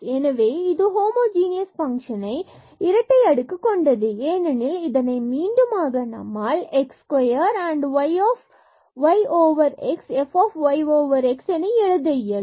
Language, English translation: Tamil, So, this is a function of homogeneous function of order 2 because this we can again write down as x square and y over x and this f y over x